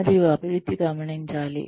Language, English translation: Telugu, And, the improvement should be noticed